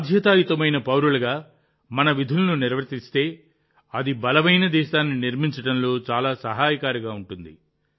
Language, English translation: Telugu, If we perform our duties as a responsible citizen, it will prove to be very helpful in building a strong nation